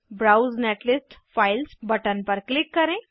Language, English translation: Hindi, Click on Browse netlist Files button